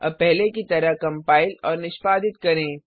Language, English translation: Hindi, Now compile as before, execute as before